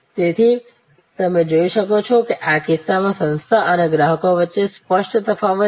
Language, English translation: Gujarati, So, as you can see that is the clear distinction in this case between the organization and the customer